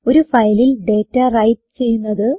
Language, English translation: Malayalam, How to write data into a file